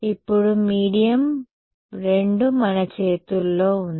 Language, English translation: Telugu, Now, medium 2 is in our hands